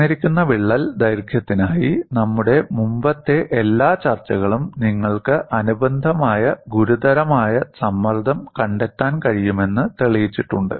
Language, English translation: Malayalam, For a given crack length, all our earlier discussion have shown that you can find out a corresponding critical stress